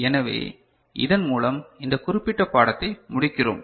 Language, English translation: Tamil, So, with this we conclude this particular lecture